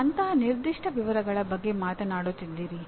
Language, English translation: Kannada, You are talking of very specific details like that